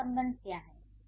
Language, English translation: Hindi, So, what is that relationship